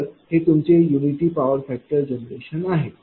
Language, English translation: Marathi, So, it is your unity power factor generation right